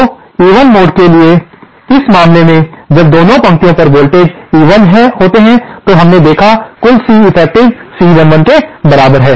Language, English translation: Hindi, So, in this case for the even mode, when the voltages on both the lines are the same, total Ceffective we saw is equal to C 11